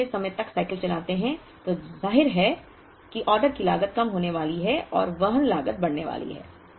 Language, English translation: Hindi, When we have longer cycles obviously the order cost is going to come down and the carrying cost is going to go up